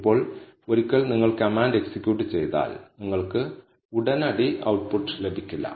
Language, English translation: Malayalam, Now, once you execute the command, you will not get the output immediately